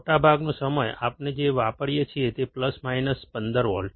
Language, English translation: Gujarati, Most of the time what we use is, plus minus 15 volts